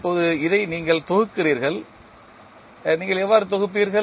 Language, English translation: Tamil, Now, you compile this, how you will compile